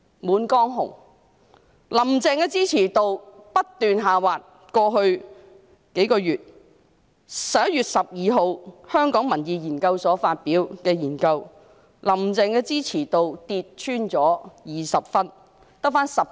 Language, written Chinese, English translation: Cantonese, 在過去幾個月，"林鄭"的支持度不斷下滑，香港民意研究所在11月12日發表報告，"林鄭"的支持度跌穿20分，只有 19.7 分。, The support rating of Carrie LAM has been on a decline over these past few months . According to a report released by the Hong Kong Public Opinion Research Institute on 12 November the support rating of Carrie LAM has fallen below 20 and stands at a mere 19.7